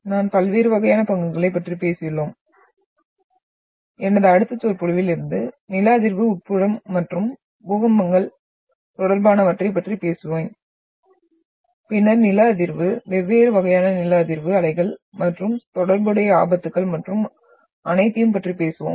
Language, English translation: Tamil, So we have talked about the different type of stocks and from my next lecture, I will start and talk about the seismic interior and related to earthquakes and then we will talk about the seismic, different type of seismic waves and the related hazards and all